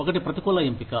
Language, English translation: Telugu, One is adverse selection